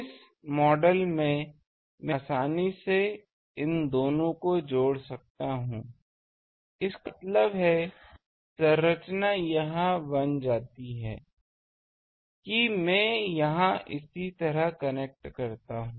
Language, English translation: Hindi, This model, so this model I can easily connect these two so; that means, the structure becomes this I do connect here similarly and V